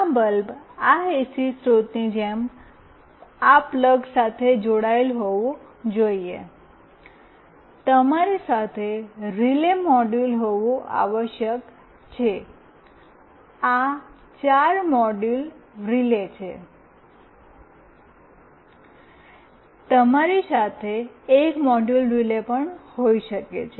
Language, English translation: Gujarati, This bulb should be connected to this plug like this AC source, you must have a relay module with you, this is a four module relay, you can have a single module relay with you also